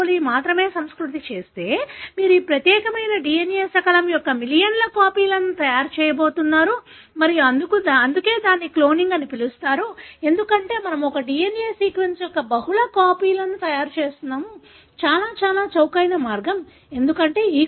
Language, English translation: Telugu, coli, you are going to make millions of copies of this particular DNA fragment and that is why it is called as cloning, because we are making multiple copies of the same DNA sequence, , in a very, very, cheaper way, because E